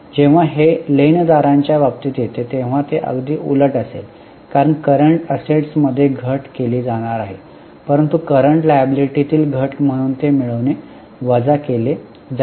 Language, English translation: Marathi, When it comes to creditors, it will be exactly opposite because for a current asset decrease is going to be added but for a current liability decrease will be deducted